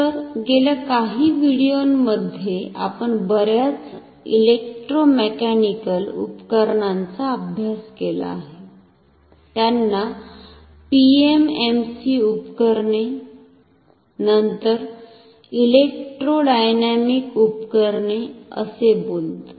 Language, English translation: Marathi, So, in last few videos we have studied about a number of Electromechanical Instruments, like to recall them PMMC instruments, then electrodynamic instruments